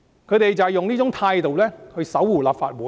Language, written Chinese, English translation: Cantonese, 他們就是以這種態度守護立法會。, With such attitude they safeguard the Legislative Council